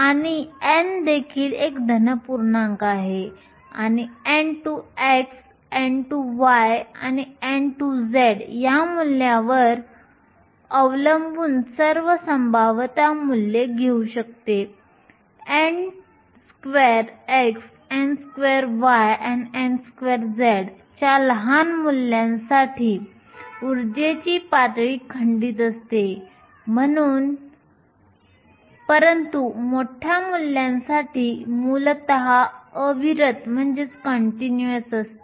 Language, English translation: Marathi, So, n is also a positive integer and it can take all possible values depending on the values of n x and n y and n z for small values of n x, n y and n z the energy levels are discrete, but for large values were essentially continuous